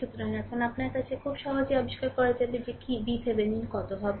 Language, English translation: Bengali, So, now you have now you can easily find out what will be your, what will be your V Thevenin